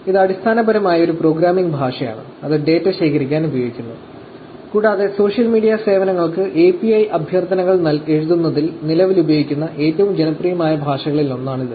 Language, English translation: Malayalam, It is basically a programming language, that is used to collect data and is one of the popular languages currently used in terms of writing API requests to the social media services